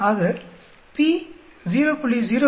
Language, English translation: Tamil, So p is equal to 0